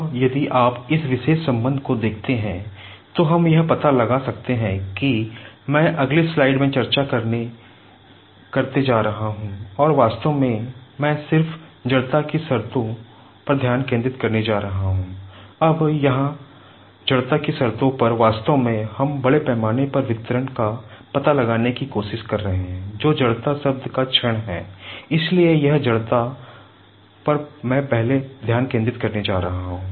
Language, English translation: Hindi, Now, if you see this particular relationship, so we can find out that I am going to discuss in the next slide and in fact, I am just going to concentrate first on the inertia terms